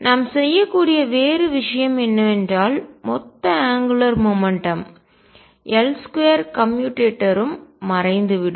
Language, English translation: Tamil, What other thing we can do is that the total angular momentum L square commutator also vanishes